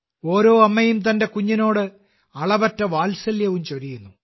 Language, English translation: Malayalam, Every mother showers limitless affection upon her child